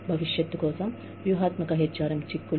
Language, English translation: Telugu, Strategic HRM implications for the future